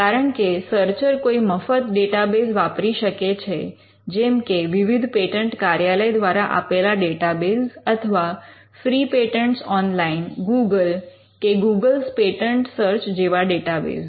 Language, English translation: Gujarati, Because a searcher may use a free database like a database provided by the various patent offices or by free patents online or by google, googles patent search